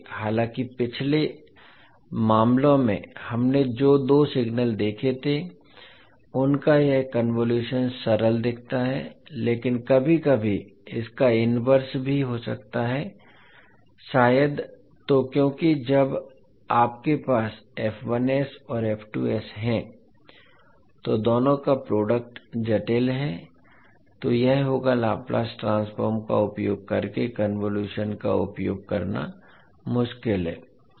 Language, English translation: Hindi, Because although this convolution of two signal which we saw in the previous cases looks simple but sometimes finding the inverse maybe tough, why because the moment when you have f1s and f2s the product of both is complicated then it would be difficult to utilise the concept of convolution using Laplace transform